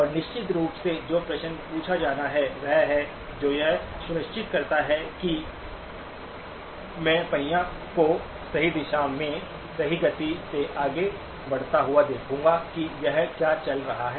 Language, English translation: Hindi, And of course, the question that begs to be asked is what is it that will ensure that I will see the wheel moving in the right direction, at the right speed that it is supposed to be moving in, what is that